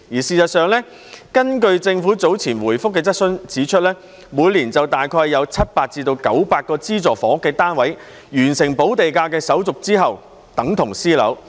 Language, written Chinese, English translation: Cantonese, 事實上，政府早前回覆質詢時指出，每年大約有700至900個資助房屋單位在完成補地價手續後等同私樓。, In fact the Government pointed out in its reply to a question earlier on that about 700 to 900 subsidized housing units would be turned into private flats each year after a premium had been paid